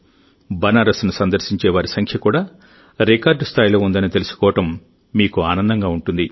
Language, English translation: Telugu, You would also be happy to know that the number of people reaching Banaras is also breaking records